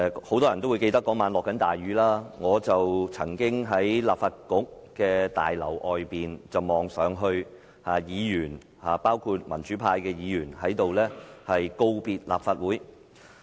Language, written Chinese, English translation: Cantonese, 很多人都會記得當晚滂沱大雨，而我當時在立法局大樓外望着議員，包括民主派議員告別立法局。, Many people might probably remember that it was raining heavily on that evening . At that time I was standing outside the Legislative Council Building watching Members including democratic Members bid farewell to the Legislative Council